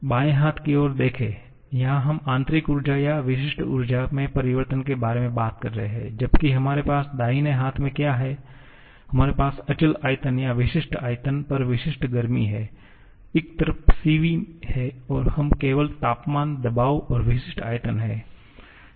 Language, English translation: Hindi, Look at the left hand side, here we are talking about the changes in internal energy or specific internal energy whereas what we have on the right hand side, we have specific volume or specific heat at constant volume